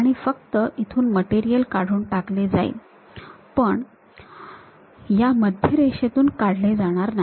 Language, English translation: Marathi, And material is only removed from here, but not from center line